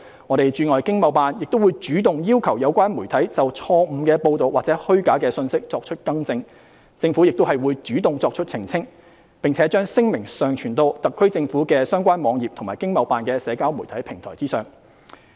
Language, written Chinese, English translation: Cantonese, 各駐海外經貿辦會主動要求有關媒體就錯誤報道或虛假信息作出更正，政府亦會主動作出澄清，並將聲明上傳到特區政府的相關網頁及經貿辦的社交媒體平台上。, The overseas ETOs will take the initiative to request the media to rectify false reports or false information of such reports . The Government will also proactively make clarifications and upload the statements on the HKSAR Governments relevant web pages and ETOs social media platforms